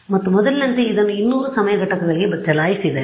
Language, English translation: Kannada, And as before run it for 200 time units